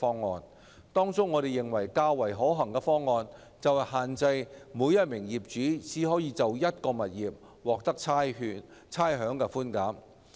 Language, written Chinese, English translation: Cantonese, 在這些方案中，我們認為較為可行的是限制每名業主只可就一個物業獲得差餉寬減。, Amongst these options we consider that the option of limiting rates concession to only one property for each owner might be more feasible